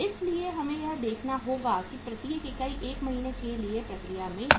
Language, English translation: Hindi, so we have to see that each unit is in process for 1 month